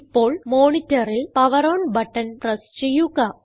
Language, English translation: Malayalam, Now, press the POWER ON button on the monitor